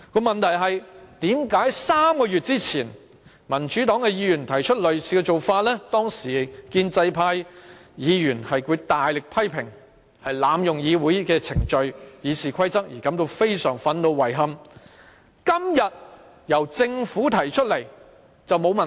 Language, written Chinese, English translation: Cantonese, 問題是，為何3個月前民主黨議員提出類似做法，建制派議員強烈批評我們濫用議會程序和《議事規則》，因而感到非常憤怒和遺憾，但今天由政府提出便沒有問題？, The point is three months ago when Members from the Democratic Party made a similar request to rearrange the agenda items the pro - establishment Members strongly criticized us for abusing Council proceedings and RoP and thus expressed anger and regret; but how come it is not a problem for the Government to make the same request today?